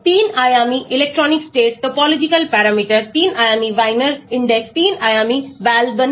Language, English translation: Hindi, 3 dimensional electronic state, topological parameters, 3 dimensional Wiener index, 3 dimensional Balaban index